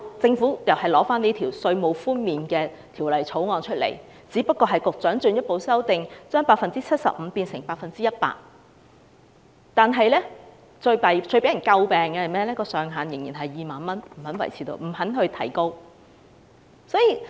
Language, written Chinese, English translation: Cantonese, 政府提出這項《條例草案》，只是把稅務寬免百分比由 75% 提高至 100%， 但最為人詬病的，是寬免上限仍然是2萬元，不願意提高。, The major criticism of this Bill is that while the Government has proposed to raise the percentage for tax reduction from 75 % to 100 % it refuses to raise the ceiling and retain it at 20,000